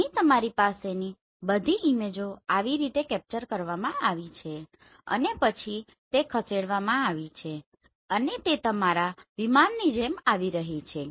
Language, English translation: Gujarati, So here you are having all the images captured like this and then it has moved and it is going like this your aircraft